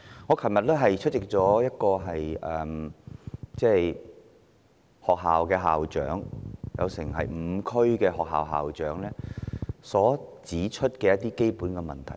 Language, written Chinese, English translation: Cantonese, 我昨天出席了一項活動，聽到5區學校的校長指出基本問題。, When I attended a function yesterday I heard school principals from five different districts stating the root problems